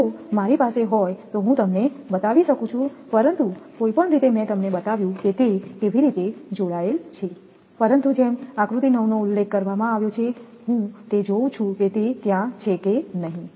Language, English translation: Gujarati, If I have I can show you otherwise I but anyway I showed you that how it is connected, but as it is mentioned figure 9 I will see if it is there or not it is here I got it right